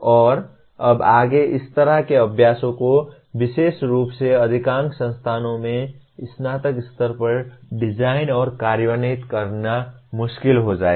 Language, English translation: Hindi, And now further it will become difficult to design and implement such exercises particularly at undergraduate level in majority of the institutions